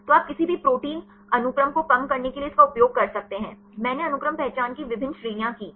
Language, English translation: Hindi, So, this you can use this to cull any protein sequences; I did various ranges of sequence identities